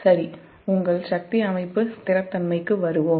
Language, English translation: Tamil, ok, so let us come back to the your power system stability